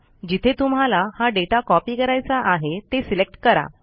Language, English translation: Marathi, Also select the cells where we want to copy the data